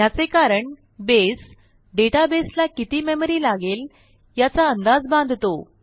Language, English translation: Marathi, This is because, Base anticipates a certain amount of memory that the database may need